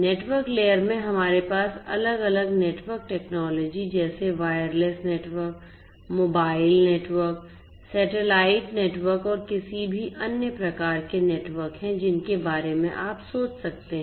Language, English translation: Hindi, In the network layer we are going to have different different network technologies such as wireless networks, mobile networks, satellite networks and any other different type of network that you can think of